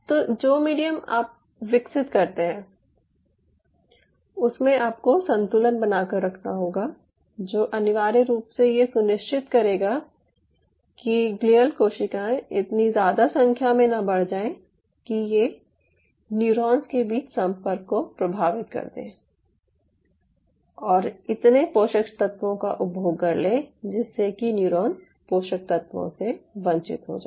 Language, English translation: Hindi, so you have to have a balancing act in terms of the medium, what you are developing, which will essentially ensure that neither your glial cell number is going so up that it is affecting the connectivity between the neurons and and it consumes so much nutrients that the neuron gets deprived of nutrient nutrients